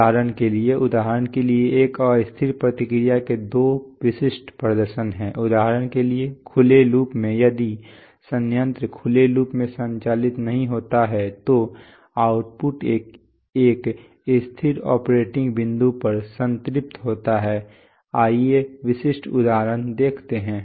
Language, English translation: Hindi, For example, take the case of, there are two typical demonstrations of an unstable response for example, in open loop if the plant is not a operated in open loop then the output saturates to a stable operating point, what is the typical example